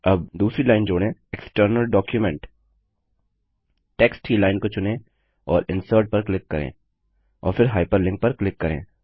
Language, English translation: Hindi, Now add another line item: External Document Select the line of text and click on Insert and then on Hyperlink